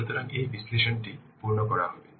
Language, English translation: Bengali, So, this analysis will be made